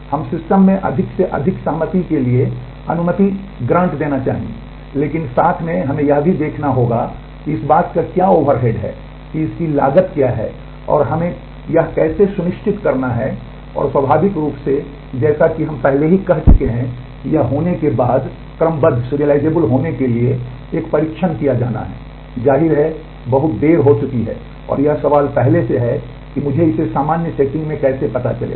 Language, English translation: Hindi, The more we would like to allow for more and more concurrence in the system, but at the same time we will need to have to see what is the overhead of that what is the cost of that what how do we have to ensure those and, naturally as we I have already said testing for a scheduled to be serializable after it has happened is; obviously, too late and the question is beforehand how do I get to know it in a general setting